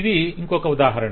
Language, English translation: Telugu, and that is the example